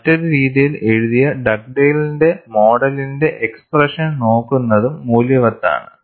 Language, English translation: Malayalam, And it is also worthwhile to look at the expression for Dugdale’s model written out in a different fashion